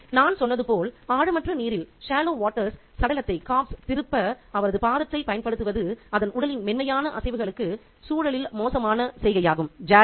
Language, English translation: Tamil, So, as I said, the usage of his foot to turn over the corpse is a jarring gesture in the context of the gentle movements of its body in the shallow waters